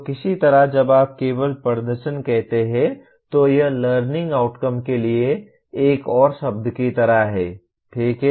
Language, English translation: Hindi, So somehow when you merely say performance it is like another word for learning outcome, okay